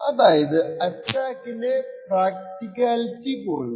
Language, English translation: Malayalam, On the other hand, the practicality of the attack starts to reduce